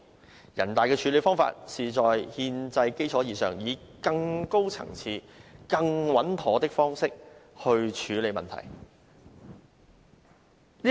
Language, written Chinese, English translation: Cantonese, 人大常委會的處理方法是在憲制基礎之上，以更高層次、更穩妥的方式來處理問題。, The approach adopted by NPCSC is built on a constitutional foundation and it is addressing the issue from a higher level and with a more secure approach